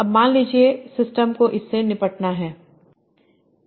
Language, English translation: Hindi, Now, so suppose the systems have to deal with that